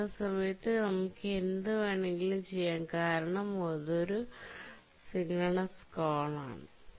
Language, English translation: Malayalam, While the file is being saved, you can do anything because it's a synchronous call